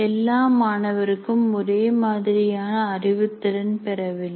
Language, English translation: Tamil, And then all students do not have the same cognitive ability